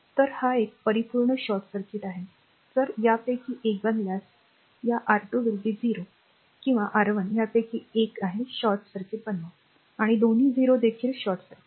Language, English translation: Marathi, So, it is a pure short circuit, if you make either of this either this one R 2 is equal to 0 or R 1 is either of this you make short circuit, and both 0 also short circuit, right